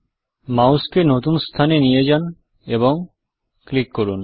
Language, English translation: Bengali, Move the mouse to the new location and click